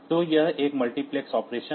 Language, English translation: Hindi, So, this is a multiplexed operation